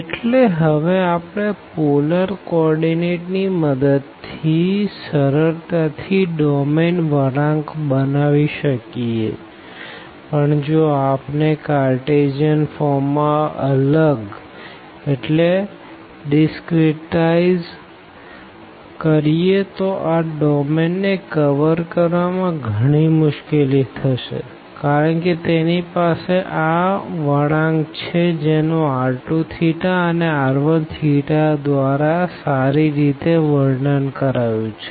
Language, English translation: Gujarati, So, we can curve domain with the help of polar coordinating easily, but if we discretize in the a Cartesian form, then they will be many difficulties to cover this domain, because it has this curve which is described nicely by r 2 theta and here r 1 theta